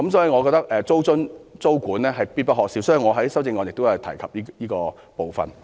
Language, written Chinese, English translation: Cantonese, 我認為租津、租管是必不可少的，因此我在修正案中提出了這部分。, Since I consider rental allowance and rent control essential I have put forth this proposal in my amendment